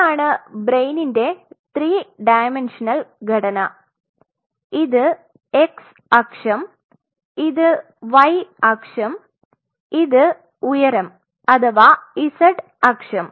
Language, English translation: Malayalam, So, this is a three dimensional structure that is how brain is this is your x axis